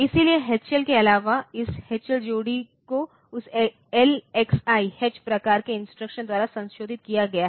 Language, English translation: Hindi, So, apart from H L so, this H L pair is modified by that LXI H type of instruction